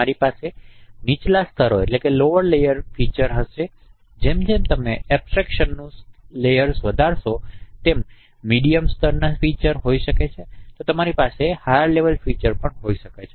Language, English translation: Gujarati, So we will have low level features and as you increase the level of abstraction, you can have mid level features, you can have high level features and then you train the classifier using these features